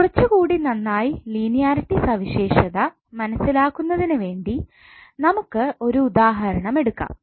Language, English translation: Malayalam, Now let us take one example to better understand the linearity property, let us consider one linear circuit shown in the figure below